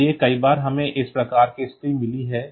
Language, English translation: Hindi, So, many times we have got this type of situation